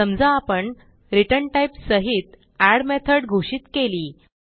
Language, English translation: Marathi, Suppose now we declare add method with return type